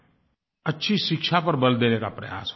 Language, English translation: Hindi, An effort is being made to provide quality education